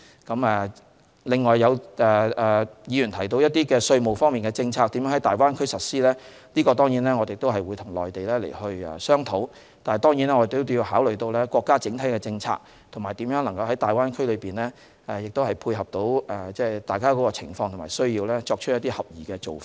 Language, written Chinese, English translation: Cantonese, 此外，有議員提到一些稅務政策如何在大灣區內實施，我們會跟內地商討，但我們必須考慮國家整體政策，並在大灣區內配合彼此的情況和需要，作出合適的做法。, Besides some Members are concerned how certain tax policies will be implemented in the Greater Bay Area and we will discuss this issue with the Mainland . Nevertheless in mapping out the appropriate approach we must consider the overall policies of the country and support the conditions and needs of each other in the Greater Bay Area